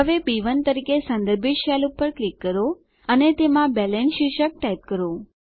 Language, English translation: Gujarati, Click on the cell referenced as B1 and type the heading BALANCE inside it